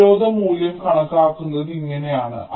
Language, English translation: Malayalam, so this is how resistance value is estimated